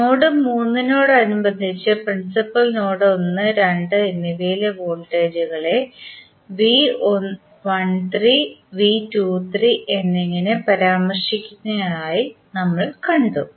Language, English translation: Malayalam, Now, we have seen that we are mentioning V 13 and V 23 that is the voltages at principal node 1 and 2 with respect to node 3